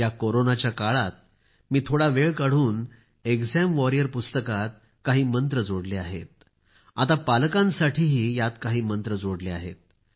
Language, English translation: Marathi, In the times of Corona, I took out some time, added many new mantras in the exam warrior book; some for the parents as well